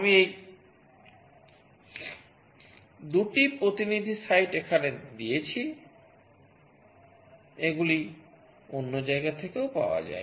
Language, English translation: Bengali, I have given these 2 representative site here, these are available from other places also